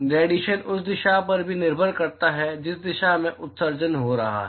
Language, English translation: Hindi, The radiation is also dependent on the direction at which the emission is occurring